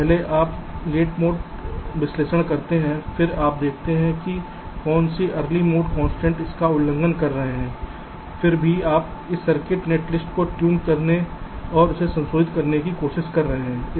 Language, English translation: Hindi, so first you do the late mode analysis, then you see which of the early mode constraints are getting violate it still you try to tune this circuit netlist and trying to address them